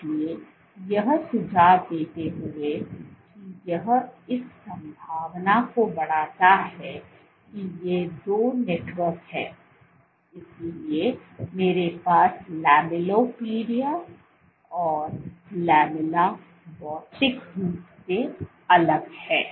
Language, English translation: Hindi, So, suggesting that this raises the possibility that these two networks, so I have lamellipodia and lamella are materially distinct